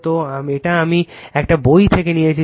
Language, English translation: Bengali, So, this is I have taken from a book, right